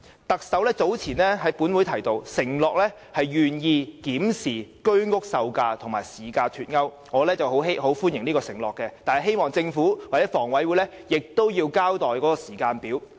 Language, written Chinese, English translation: Cantonese, 特首早前向本會承諾，願意檢視居屋售價與市價脫鈎的問題，我很歡迎這個承諾，但希望政府或香港房屋委員會可以交代時間表。, Earlier on in this Council the Chief Executive has undertaken to examine the delinking of the pricing of HOS flats from market prices and I welcome this idea . And yet I hope that the Government or the Hong Kong Housing Authority HA will provide a timetable